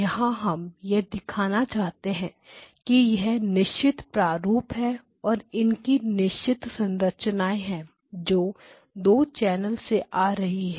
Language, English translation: Hindi, But what we are trying to show is that there is a certain pattern and a certain structure to it that comes from the 2 channel case